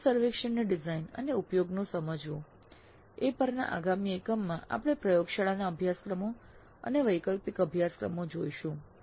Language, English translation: Gujarati, So in the next unit we look at the under design and use of exit survey for laboratory courses and elective courses